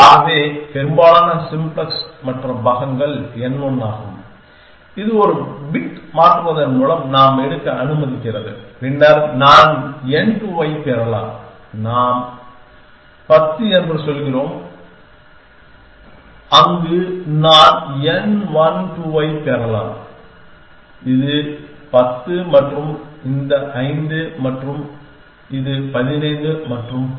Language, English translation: Tamil, Thus most simplex other most parts is n one which allow we taken get by changing one bit and then I can get n 2, we say 10, there I can get n 1 2 which as 10 plus this 5 which is 15 and so on